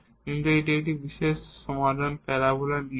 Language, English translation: Bengali, But now this is a particular solution say parabola it is a fixed parabola